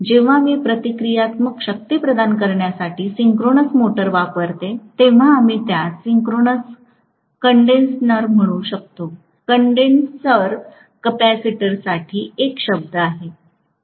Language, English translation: Marathi, When I use a synchronous motor for providing for the reactive power, we may call that as synchronous condenser